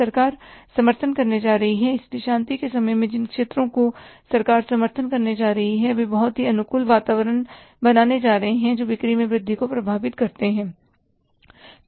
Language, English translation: Hindi, So, in peace, the sectors which the government is going to support, going to create a very conducive environment, that may affect the increase in the sales